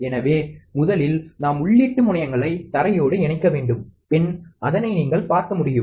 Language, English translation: Tamil, So, first we short the input terminals to the ground, as you can see